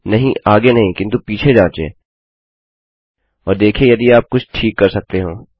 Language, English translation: Hindi, No, not after but check before and see if you can fix anything